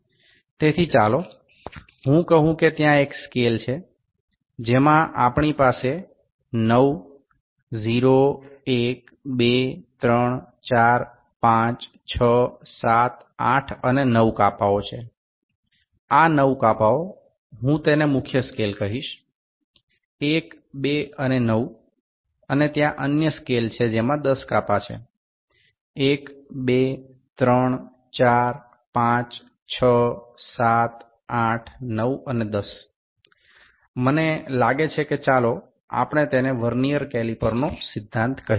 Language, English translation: Gujarati, So, let me say there is a scale in which we have 9 divisions 0, 1, 2, 3, 4, 5, 6, 7, 8 and 9; these 9 divisions I will call it main scale, 1, 2 and 9 and there is another scale which has 10 divisions; 1, 2, 3, 4, 5, 6, 7, 8, 9 and 10, I think let us call it this is principle of Vernier caliper